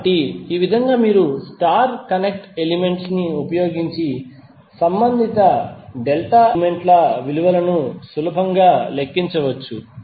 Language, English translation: Telugu, So in this way you can easily calculate the value of the corresponding delta elements using star connected elements